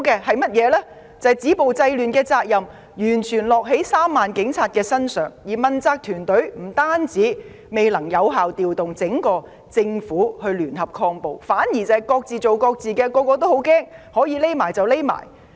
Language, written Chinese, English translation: Cantonese, 他們看到止暴制亂的責任完全由3萬名警察承擔，問責團隊不但未能有效調動整個政府聯合抗暴，反而各自為政，人人自危，可以躲起來便躲起來。, They have seen that the responsibility to stop violence and curb disorder is shouldered solely by the 30 000 police officers . The accountable team of officials not only fail to effectively mobilize the whole Government to make joint efforts against violence but are also each minding his own business and fear - struck hide if they can in a corner